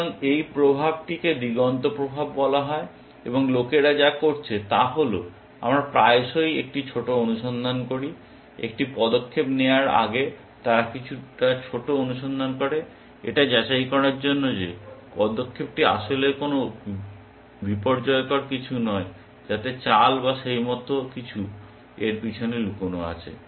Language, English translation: Bengali, So, this effect is called the horizon effect, and what people have done is that, we often do a secondary search, before making a move they do a little bit of secondary search to verify that the move is indeed not a there are no catastrophic lurking behind that move or something like that